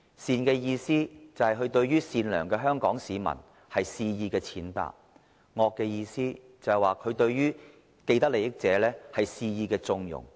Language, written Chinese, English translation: Cantonese, 善的意思，是指他對於善良的香港市民，肆意踐踏；惡的意思，是指他對於既得利益者，肆意縱容。, The meek and weak means that he arbitrarily infringes on the rights of the meek and weak Hong Kong citizens . The firm and strong means that he has given consent or connivance to people having vested interests